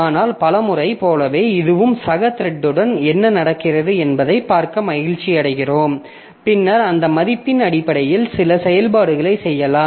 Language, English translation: Tamil, Like many a times we are happy to see like what is happening with my fellow thread and then we can just do some operation based on that value